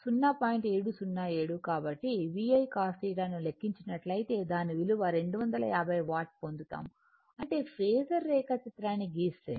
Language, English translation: Telugu, 707 so if you calculate VI cos theta you will get the same value 250 watt right so; that means, if you draw the phasor diagram